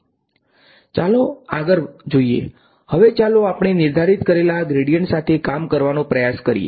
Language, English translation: Gujarati, Moving on, now let us try to work with this gradient that we have defined